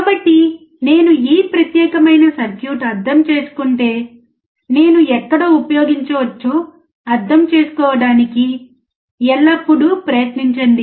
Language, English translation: Telugu, So, always try to understand that if I learn this particular circuit, where can I use it